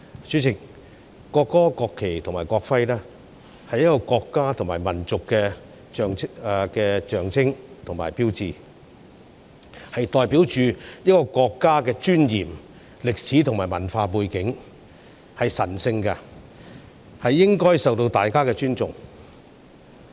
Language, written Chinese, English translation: Cantonese, 主席，國歌、國旗及國徽，是一個國家及民族的象徵及標誌，代表着一個國家的尊嚴、歷史及文化背景，是神聖的，應該受到大家尊重。, President the national anthem national flag and national emblem are the symbols and signs of a country and nation . Representing the dignity history and cultural background of a country they are sacred and should be respected